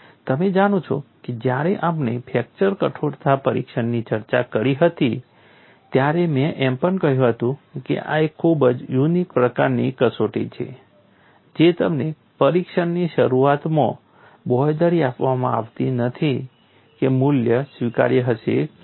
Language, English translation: Gujarati, You know while we discussed fracture stiffness testing, I also said this is very unique type of test you are not guaranteed at the start of the test whether the value would be acceptable or not